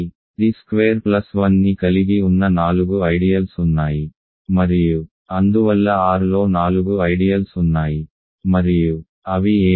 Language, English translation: Telugu, So, there are four ideals that contains t squared plus 1 and hence there are four ideals in R and what are they